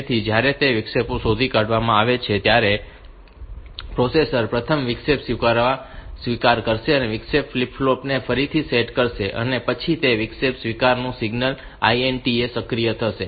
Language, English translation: Gujarati, So, when that interrupts is detected the processor will first reset the interrupt acknowledge, interrupts flip flop and then it will activate the interrupt acknowledge signal INTA